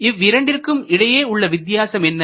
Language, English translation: Tamil, What is the difference between these two